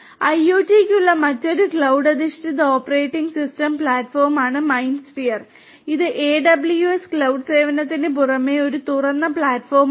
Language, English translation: Malayalam, MindSphere is another cloud based operating system platform for IoT and this is an open Platform as a Service in addition to the AWS cloud service